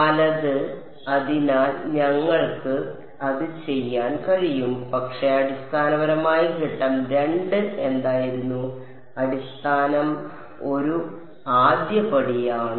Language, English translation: Malayalam, Right; so, we could do that, but basically step 2 was what, basis is one first step